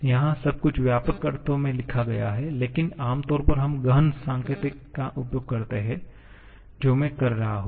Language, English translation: Hindi, Here, everything is written in extensive sense but commonly we use the intensive notation that is what I shall be doing